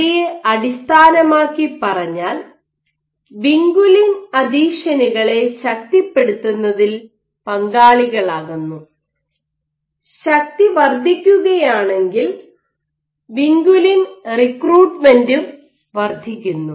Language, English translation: Malayalam, So, based on all of this people have thought that vinculin participates in strengthening adhesions such that if there is increased force then you have increased recruitment of vinculin